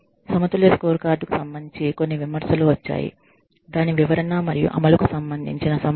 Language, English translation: Telugu, Some criticisms, that have come up, regarding a balanced scorecard are, issues related to its interpretation and implementation